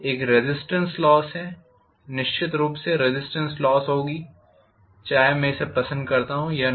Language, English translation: Hindi, One is resistance loss, definitely there will be resistance loss, whether I like it or not